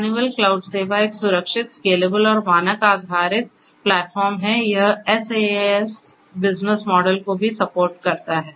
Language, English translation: Hindi, Honeywell cloud service is a secured, scalable and standard based platform, it supports SaaS business models as well